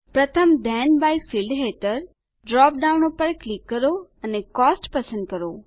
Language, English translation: Gujarati, Under the first Then by field, click on the drop down, and select Cost